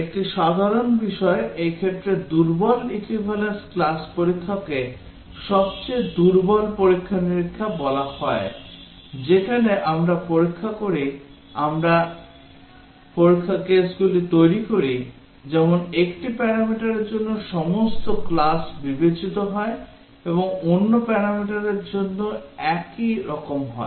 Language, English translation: Bengali, One simple thing, the weakest testing for this case is called as Weak Equivalence Class Testing, where we check we form the test cases such that all classes for one parameter is considered and same for the other parameter